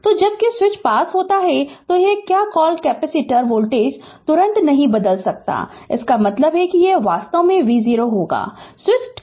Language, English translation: Hindi, So as soon as the switch is close that your what you call capacitor voltage cannot change instantaneously that means, it will be actually v 0 plus